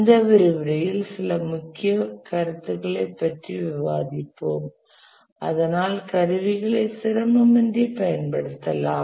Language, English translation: Tamil, But then in this lecture we will discuss about the main concepts here so that we can effortlessly use the tools